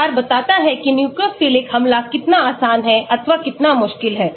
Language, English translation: Hindi, So, the size of the R tells you how easy the nucleophilic attack is or how difficult it is